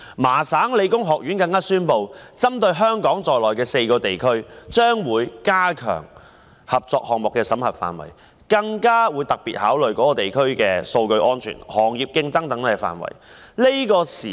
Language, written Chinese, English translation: Cantonese, 麻省理工學院宣布，將會針對香港在內的4個地區，加強合作項目的審核，更會特別考慮相關地區的數據安全、行業競爭等範圍。, The Massachusetts Institute of Technology announced that it would ramp up its screening process for collaboration proposals from four regions including Hong Kong and special attention would be paid to areas such as data security and industry competitiveness